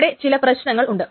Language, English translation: Malayalam, There is no problem